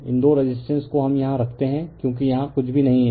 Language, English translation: Hindi, These two resistance we put it here, right as we as we nothing is here